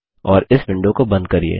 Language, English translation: Hindi, and close this window